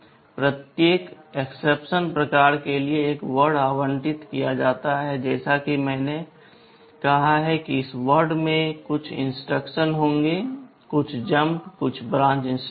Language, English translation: Hindi, One word is allocated for every exception type and as I have said, this word will contain some instruction; some jump, some branch instruction